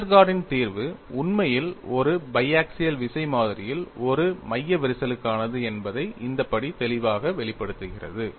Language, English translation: Tamil, tThis step clearly brings out that Westergaard solution, is in deepindeed for a central crack in a biaxial tension specimen